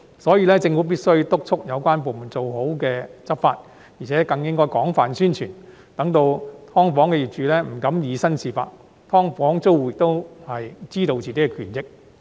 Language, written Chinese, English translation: Cantonese, 所以，政府必須督促有關部門做好執法工作，而且更應廣泛宣傳，讓"劏房"業主不敢以身試法，"劏房"租戶亦可知道自己的權益。, Hence the Government must urge the departments concerned to do well in their law enforcement work . They should also launch extensive publicity so that landlords of subdivided units will not dare to challenge the law and tenants of subdivided units will also be aware of their own rights and interests